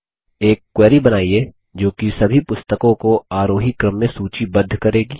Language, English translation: Hindi, Create a query that will list all the Books in ascending order